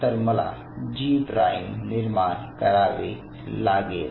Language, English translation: Marathi, So, what I do I put a G prime